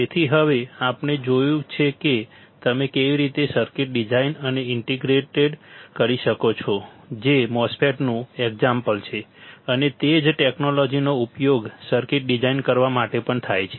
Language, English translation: Gujarati, So, now, we have seen how you can design and integrated circuit right which is the example of a MOSFET and the same technology is used for designing the circuit as well